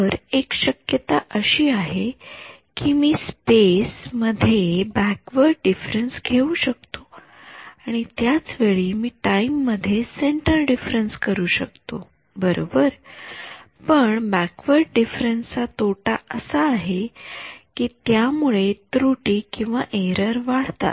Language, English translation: Marathi, So, one possibility is I do a backward difference in space I can still do centre difference in time right, but what is the disadvantage of doing a backward difference error is error increases